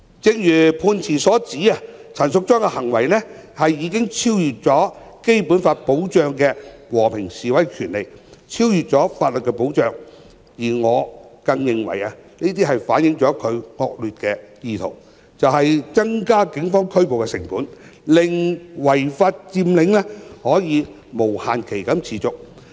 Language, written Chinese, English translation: Cantonese, 正如判詞所指，陳淑莊議員的行為已超越《基本法》保障的和平示威權利、超越法律保障，而我更認為這反映了她的惡劣意圖，就是增加警方拘捕的成本，令違法佔領可無限期持續。, As highlighted in the judgment the behaviour of Ms Tanya CHAN has already exceeded the protection given by the Basic Law to the right to peaceful demonstration and the bounds of legal protection . And I even think that this has reflected her malicious intention of increasing the cost of making arrests by the Police so that the illegal occupation could go on indefinitely